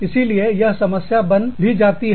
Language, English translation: Hindi, So, this can become a problem, also